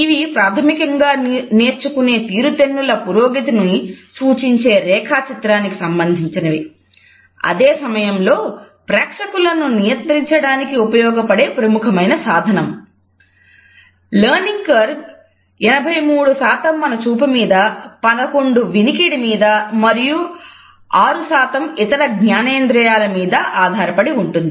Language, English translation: Telugu, It is said that in the learning curve 83% is dependent on our side, 11% on hearing and 6% on other senses